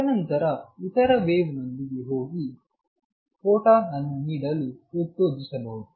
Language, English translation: Kannada, And then the wave going the other wave may stimulated to give out that photon